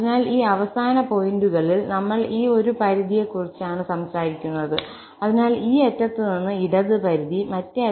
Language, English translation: Malayalam, So, therefore, at these endpoints, we are talking about one limit, so, the left limit from this end and then right limit from the other end